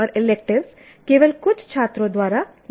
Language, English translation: Hindi, That means any elective is taken only by some students